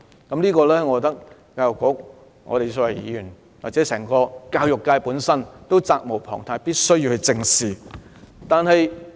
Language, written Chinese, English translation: Cantonese, 我覺得教育局、議員或教育界也責無旁貸，必須正視這個問題。, To me the Education Bureau Members and the education sector are duty bound to look squarely into this problem